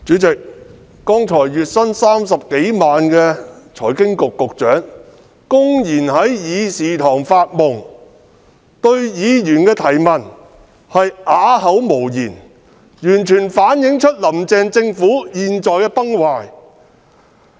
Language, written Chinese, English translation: Cantonese, 主席，剛才月薪30多萬元的財經事務及庫務局局長公然在議事堂發夢，對議員的質詢啞口無言，完全反映"林鄭"政府現在崩壞的情況。, President just now the Secretary for Financial Services and the Treasury earning a monthly salary of over 300,000 was brazenly daydreaming in this Chamber and was rendered speechless at the Members question . This fully reflects that the Carrie LAM Government is crumbling